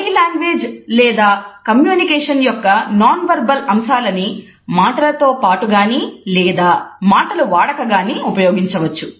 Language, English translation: Telugu, Body language or nonverbal aspects of communication can be used either in addition to words or even independent of words